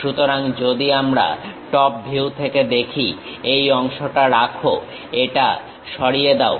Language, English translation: Bengali, So, if we are looking from top view retain this part, retain this part, remove this